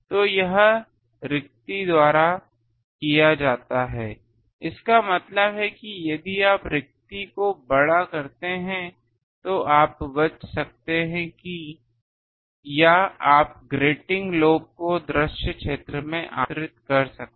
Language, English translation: Hindi, So, that is done by the spacing so that means if you make spacing large you can avoid or you can invite grating lobes in to the visible zone